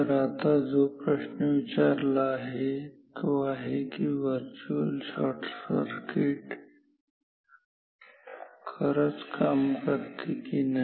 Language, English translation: Marathi, So, the question now we are asking is will virtual shorting really work or not